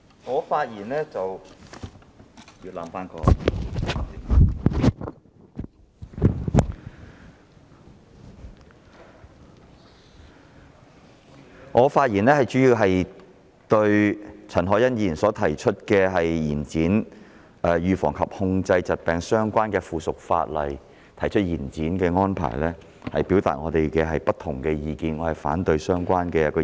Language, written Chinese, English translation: Cantonese, 我是次發言主要是就陳凱欣議員提出，延展和預防及控制疾病相關的附屬法例的修訂期限，表達我們的不同意見，反對是項安排。, I am speaking mainly on the proposal put forward by Ms CHAN Hoi - yan to extend the period for amending the subsidiary legislation concerning the prevention and control of disease and would like to express our views against the arrangement